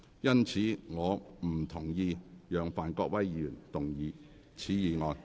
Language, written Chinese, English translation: Cantonese, 因此，我不同意讓范國威議員動議此議案。, Hence I do not consent to Mr Gary FANs moving of this motion